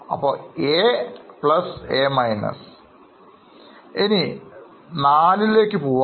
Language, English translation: Malayalam, Now, let us get to 4